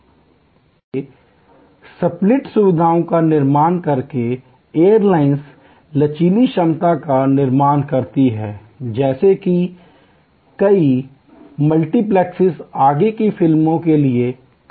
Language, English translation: Hindi, So, by creating split facilities, airlines create the flexible capacity in many of the so called multiplexes in further movies